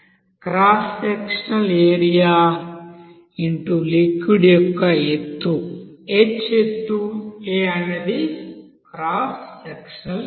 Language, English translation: Telugu, Cross sectional area into height of the liquid; h is height, A is the cross sectional area